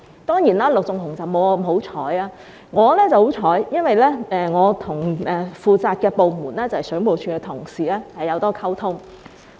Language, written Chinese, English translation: Cantonese, 當然，陸頌雄議員沒有我那麼幸運，我很幸運，因為我跟負責的部門，即水務署的同事有很多溝通。, But indeed Mr LUK Chung - hung is not as lucky as I am . I am lucky because I have had communicated on many occasions with those working in the department responsible for this matter that is WSD